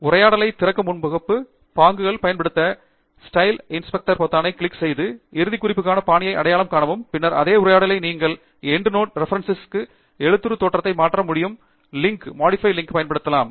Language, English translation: Tamil, Use Home, Styles to open the Styles dialogue; click on the Style Inspector button and identify the style used for the endnote reference, and then, in the same dialogue you can use the Modify Link to change the font appearance of the Endnote Reference